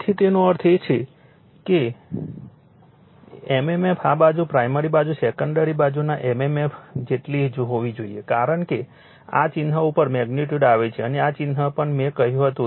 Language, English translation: Gujarati, So, that means, mmf this side primary side must be equal to mmf of the secondary side as the magnitude on this sign come, right and this sign also I also I told you